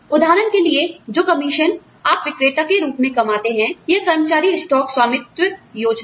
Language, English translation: Hindi, For example, the commissions, you earn as salespersons, or, the employee stock ownership plans